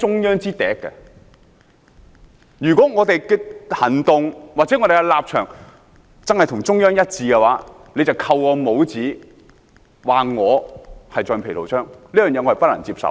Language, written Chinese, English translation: Cantonese, 如果我們的行動或立場的確與中央一致，反對派便扣我們帽子，指我們是橡皮圖章，我不能接受。, If opposition Members label us as rubber stamps just because our actions and stances are consistent with those of the Central Government I cannot accept it